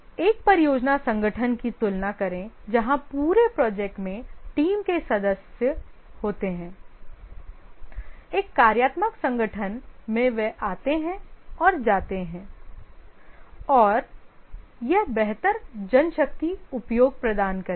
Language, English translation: Hindi, Compared to a project organization where the team members are there throughout the project in a functional organization they come and go and this provides better manpower utilization